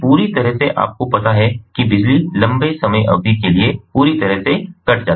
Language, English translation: Hindi, you know, power is completely cut off for longer durations of time